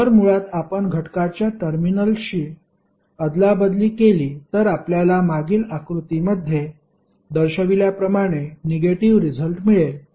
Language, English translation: Marathi, So, basically you are interchanging the terminals of the element and you eventually get the negative of what we have shown in the previous figure